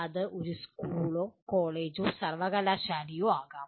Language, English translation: Malayalam, It could be a school or a college or a university